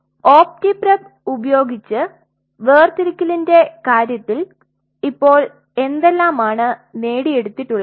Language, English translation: Malayalam, So, as of now in terms of the optiprep separation what all has been achieved